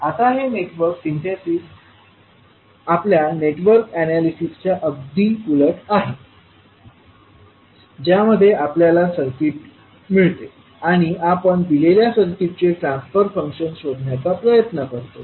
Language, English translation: Marathi, Now this Network Synthesis is just opposite to our Network Analysis, where we get the circuit and we try to find out the transfer function of the given circuit